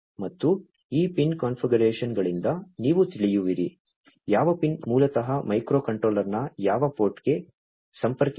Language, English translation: Kannada, And from these pin configurations you will come to know, which pin basically connects to which port right, which port of the microcontroller